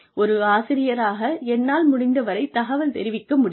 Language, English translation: Tamil, As a teacher, I can be as informed as possible